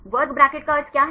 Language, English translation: Hindi, What is the meaning of square bracket